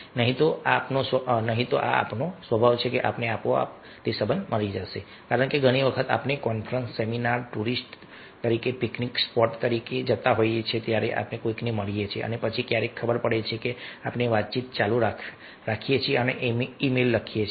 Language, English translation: Gujarati, otherwise, ah, this is nature: the relationship will automatically will die out, ah, as it happens that many times we are going for conference seminar as a tourist picnic spot, we meet somebody and then sometimes you know we are continuing interaction and writing mails for one months, two months, three months, but after that we forget